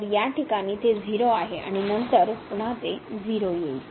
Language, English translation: Marathi, So, in this case it is a 0 and then here it is again 0